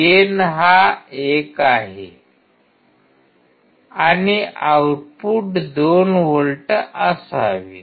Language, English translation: Marathi, So, output should be 2 volts